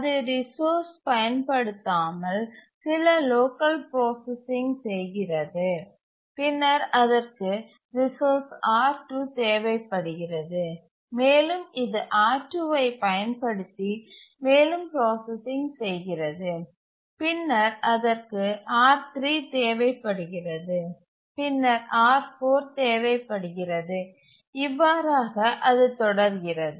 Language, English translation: Tamil, It does some local processing without using resource, then it needs the resource R2 and then it does further processing using R2, then it needs R3, then it needs R4 and so on